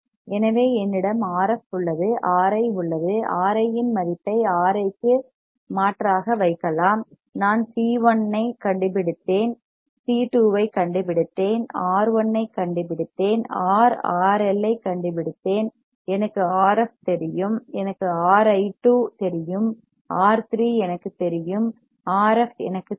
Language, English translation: Tamil, So, I have R f I have R i, I can put a value of R i substitute the value of R i, I have found C 1, I have found C 2, I have found R 1 I have found R, R I; I know R f I know R i 2, I know R 3 I know R f